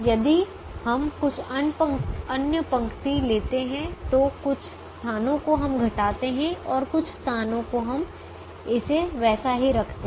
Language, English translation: Hindi, if we take some other row, some places we are subtracting and some places we are keeping it as it is